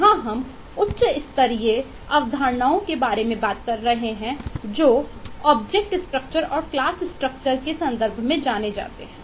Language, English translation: Hindi, Here we are talking about high level concepts that are represented in terms of class and object structures